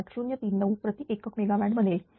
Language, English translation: Marathi, 0098039 per unit megawatt, right